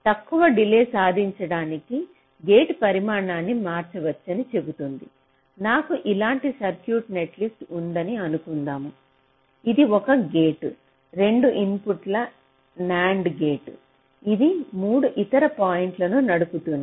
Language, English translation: Telugu, it says that i change the size of the gate to achive a lower delay, like: suppose i have a circuit netlist like this: i take one gate, ah, two input nand gate which is driving three other points